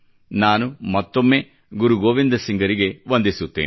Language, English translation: Kannada, I once again bow paying my obeisance to Shri Guru Gobind Singh ji